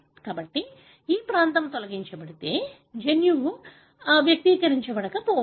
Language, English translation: Telugu, So, if this region is deleted, may be the gene does not express